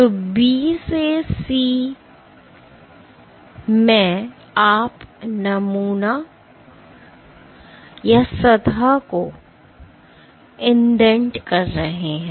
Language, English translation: Hindi, So, in B to C you are indenting the sample or surface